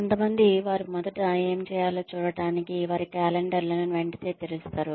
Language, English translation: Telugu, There are others, who will come in, and immediately open their calendars, to see what they need to do first